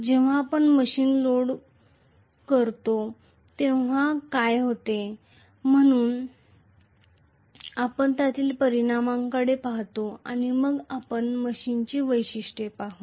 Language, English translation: Marathi, When we load the machine what happens, so we will look at the implications as and then we look at the characteristics of the machine